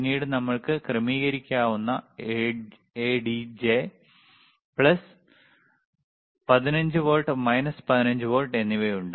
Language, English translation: Malayalam, tThen we have plus plus 15 volts adjustable , minus 15 volts ADJ,